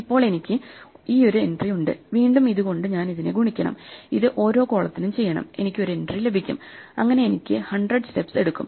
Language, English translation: Malayalam, Now I have this one entry, and again I have to multiply it by this thing and that will take me for each of the columns in this I will get one entry, so that will take me 100 steps